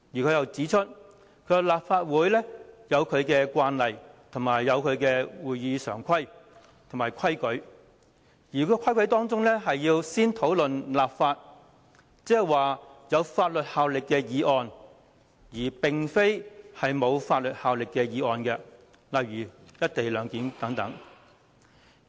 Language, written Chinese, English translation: Cantonese, 他亦指出，立法會有其慣例、會議常規和規則，要先討論有法律效力的議案，而並非沒有法律效力的議案，例如"一地兩檢"等。, He likewise pointed out that the Legislative Council has its established practices standing orders and rules under which it must discuss legally binding motions as a priority rather than non - legally binding motions such as the one on the co - location arrangement and so on